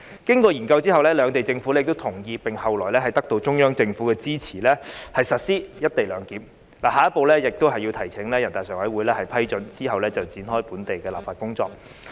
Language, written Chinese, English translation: Cantonese, 經過研究後，兩地政府均同意並後來得到中央政府的支持實施"一地兩檢"安排，下一步便是提請人大常委會批准，然後展開本地的立法工作。, After the study the two Governments came to an agreement on the implementation of co - location arrangement which later also gained support from the Central Government . The following step is to seek approval from the Standing Committee of the National Peoples Congress before local legislative work can be commenced